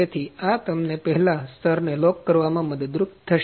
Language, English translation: Gujarati, So, it will help you lock the first layer